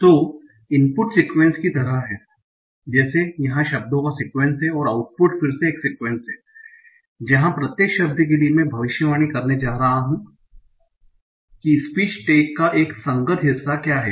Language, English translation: Hindi, So input is a sequence like here sequence of the words and output is again a sequence where for each word I want to predict what is the corresponding part of speech stack